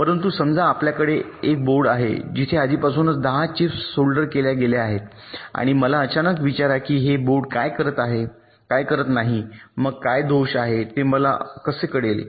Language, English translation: Marathi, but suppose you have a board where there are ten such chips already soldiered and you suddenly ask me that this board is not working